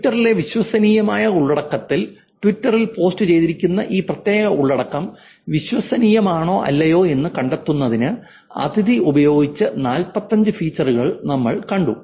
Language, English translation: Malayalam, We saw about 44 features that Adhati used in terms of actually finding out whether this particular content that is posted on Twitter is credible or not